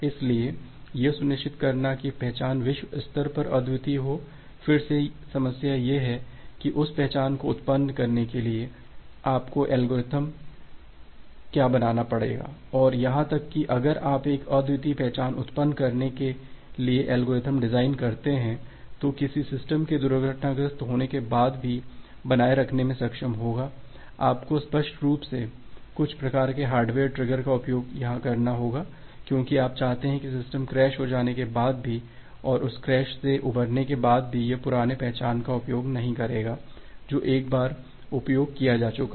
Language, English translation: Hindi, So, ensuring that identifier is unique globally, again the problem is that what would be your algorithm to generate that identifier and even if you design an algorithm to generate a unique identifier, which will be able to sustain even after a system is getting crashed, you have to obviously, use certain kind of hardware trigger here because you want to initiate that even after the system get crashed and recover from that crash, it will not use the old identifier that is being utilized once